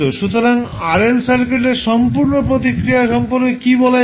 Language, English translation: Bengali, So, what we can say that the complete response of RL circuit